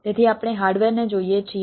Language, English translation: Gujarati, so of we look at the hardware